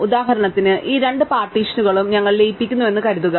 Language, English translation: Malayalam, For example, supposing we merge these two partitions, right